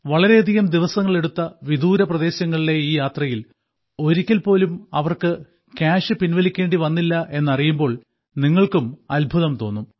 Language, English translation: Malayalam, You will also be pleasantly surprised to know that in this journey of spanning several days, they did not need to withdraw cash even in remote areas